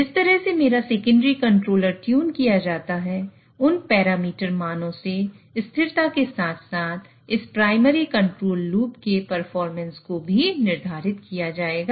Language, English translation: Hindi, So the way my secondary controller is tuned, those parameter values will decide the stability as well as the performance of this primary control loop